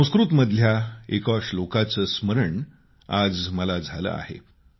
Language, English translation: Marathi, I am reminded of one Sanskrit Shloka